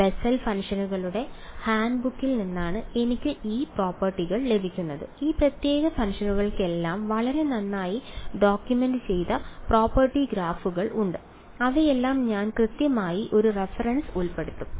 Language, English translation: Malayalam, I get these properties from the handbook of Bessel functions this is extensively documented all these special functions have very well documented properties graphs and all I will include a reference to it right